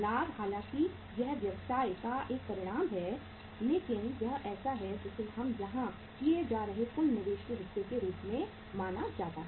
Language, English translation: Hindi, Profit though it is a result of the business but it is a it is considered here as the part of the as a part of the total investment we are making here